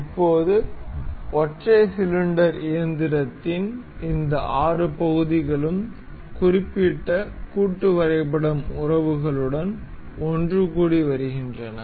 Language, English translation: Tamil, Now, we have these 6 parts of the single cylinder engine to be assembled into one another with particular assembly relations